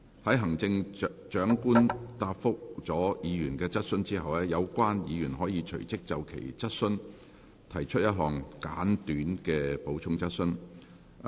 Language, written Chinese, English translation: Cantonese, 在行政長官答覆了議員的質詢後，有關議員可隨即就其質詢提出一項簡短的補充質詢。, After the Chief Executive has answered the question put by a Member the Member may forthwith ask a short supplementary question on hisher question